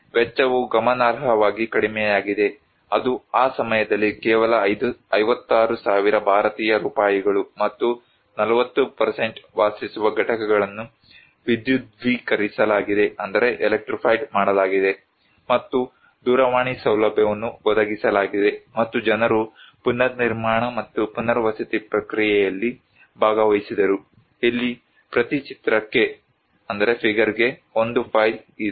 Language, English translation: Kannada, The cost was much significantly lower that is only 56,000 Indian rupees that time and 40% of the dwelling units is electrified and telephone facility was provided and people participated in the reconstruction and rehabilitation process, here is a file per picture